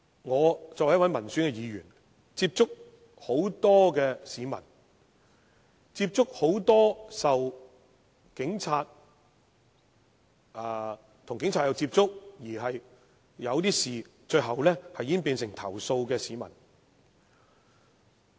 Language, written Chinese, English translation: Cantonese, 我作為民選議員，接觸很多市民，其中很多曾與警察接觸，而事情最後演變為投訴。, Being an elected Member I have contact with many members of the public . Many of them had come into contact with police officers and the matter eventually developed into a complaint